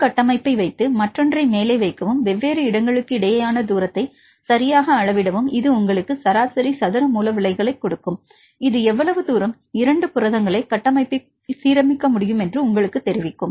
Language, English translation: Tamil, So, how far they are different structures right in this case put one structure and put on the other and the top, and measure the distance between the different locations right this will give you the root mean square deviation, this will tell you how far these 2 proteins can be aligned in the structures